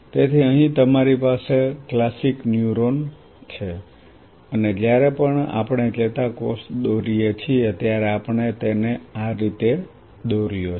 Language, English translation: Gujarati, So, here you have a classic neuron and whenever we draw the neurons we drew it like this right